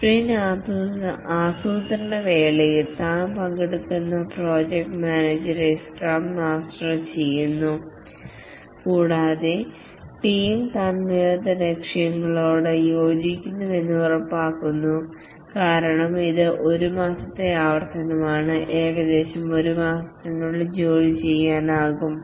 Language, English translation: Malayalam, The scrum master, the project manager, he also participates during the sprint planning and ensures that the team agrees to realistic goals because it is a one month iteration and the work should be doable in roughly one month